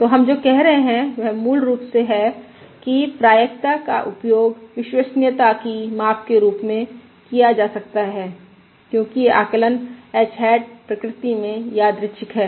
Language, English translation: Hindi, So what we are saying is basically that probability can be used as a measure of reliabilities, since the estimate h hat is random in nature